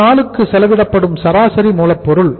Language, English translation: Tamil, Then average raw material consumption per day